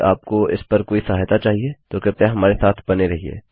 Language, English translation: Hindi, If youd like to get any help on it, then please get in touch